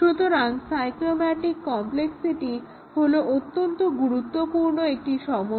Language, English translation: Bengali, So, the cyclomatic complexity is a very important number